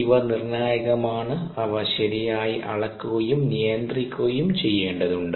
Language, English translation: Malayalam, these are crucial and so they need to be properly measured and controlled